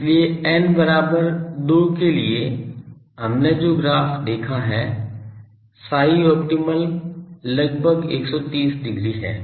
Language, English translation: Hindi, So, for n is equal to 2, from the graph we have seen psi opt is something like 130 degree